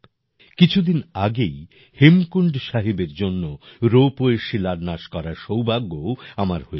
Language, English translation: Bengali, A few days ago I also got the privilege of laying the foundation stone of the ropeway for Hemkund Sahib